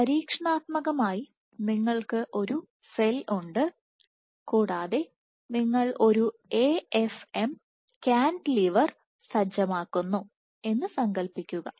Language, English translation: Malayalam, So, experimentally imagine, you have a cell and you setup an AFM cantilever